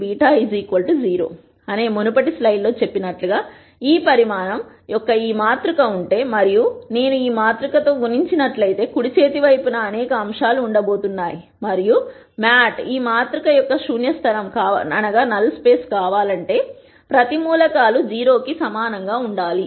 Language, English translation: Telugu, As I mentioned in the previous slide, if I have this matrix of this dimension and if I multiply beta with this matrix,then on the right hand side there are going to be several elements and for beta to be the null space of this matrix every one of the elements has to be equal to 0